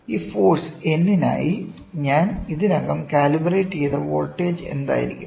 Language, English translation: Malayalam, I have calibrated for this for this force of N, what will be the voltage I have calibrated already